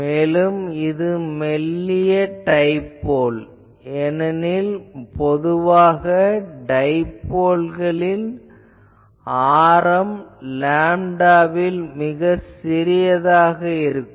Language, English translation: Tamil, It is a thin dipole, because the usually dipoles radius is quite small in terms of lambda